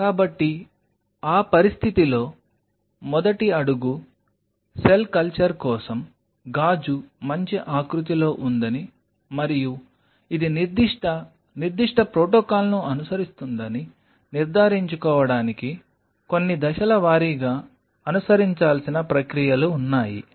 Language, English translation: Telugu, So, in that situation the first step, there are some step wise procedure which has to be followed in order to ensure that the glass is in a good shape to be used for cell culture and it follows a certain specific protocol